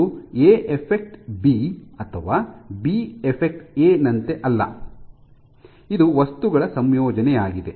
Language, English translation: Kannada, So, it is not a affects b or b affects a, it is the combination of things